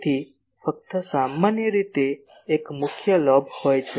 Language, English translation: Gujarati, So, only generally one major lobe is there